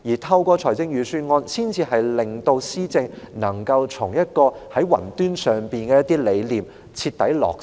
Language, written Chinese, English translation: Cantonese, 透過預算案，政府才能令其雲端上的施政理念徹底落實。, Only through the Budget can the Government fully implement its clouded - up governance philosophy